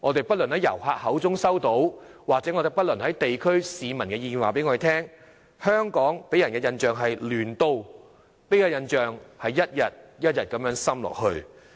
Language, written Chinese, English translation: Cantonese, 不論是從遊客口中得知，或是地區市民的意見也告訴我們，香港給人的印象是"亂都"，這個印象正一天一天地加深。, Be it the from words of visitors or the views of local residents we have learnt that the impression that Hong Kong gives is that of a city of chaos and such an impression is being etched ever deeper on a daily basis